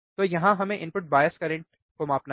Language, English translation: Hindi, So, here we have to measure input bias current right